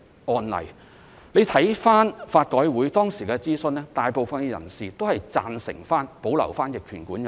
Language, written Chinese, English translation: Cantonese, 大家回看法改會當時的諮詢，大部分人士均贊成保留逆權管有條文。, If we refer to the consultation conducted by LRC most people agreed that the provision on adverse possession should be retained